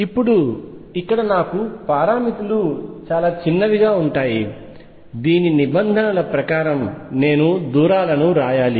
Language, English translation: Telugu, Now, here what do I have the parameters that are small in the whose terms I should write the distances